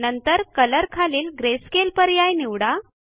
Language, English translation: Marathi, Then under Color, lets select Grayscale